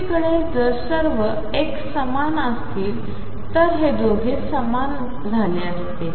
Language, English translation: Marathi, On the other hand if all xs were the same then these 2 would have been equal